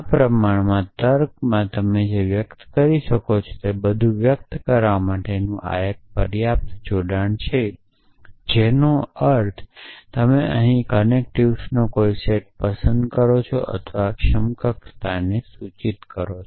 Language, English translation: Gujarati, This one single connective enough to express everything you can express in proportional logic which means you choose any set of connectives that we have here and or implies equivalence and so on